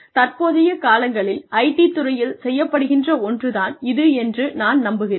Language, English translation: Tamil, So, I believe that, this is something, that is being done in the IT industry, these days, quite a bit